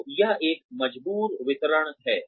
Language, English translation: Hindi, So, that is a forced distribution